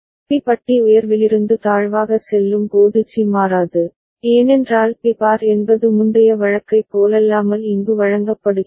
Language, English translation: Tamil, And C does not change when B bar goes from high to low, because B bar is what is fed here unlike the previous case